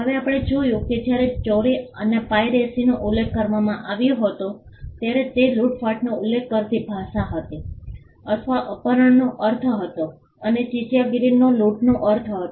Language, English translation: Gujarati, Now, we saw that when plagiarism and piracy was mentioned it was the language used to refer to plagiarism was kidnapping, or the word had a meaning of kidnapping and piracy had the meaning of robbery